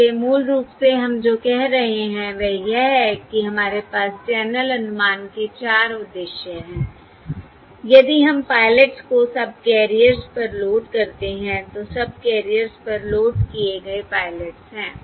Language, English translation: Hindi, So basically what we are saying is we have 4 purposes of channel estimation if we load the pilots onto the subcarriers